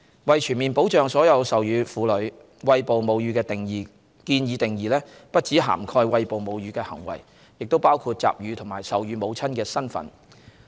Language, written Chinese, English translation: Cantonese, 為全面保障所有授乳婦女，餵哺母乳的建議定義不只涵蓋餵哺母乳的行為，亦包括集乳和授乳母親的身份。, In order to afford comprehensive protection to all breastfeeding women the proposed definition of breastfeeding will not only cover the act of breastfeeding but also the expression of milk and the status of being a breastfeeding mother